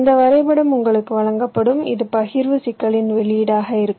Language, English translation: Tamil, you will be given this graph, which will be the output of the partitioning problem